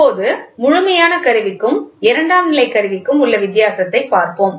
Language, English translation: Tamil, Now, let us see the difference between absolute instrument and secondary instrument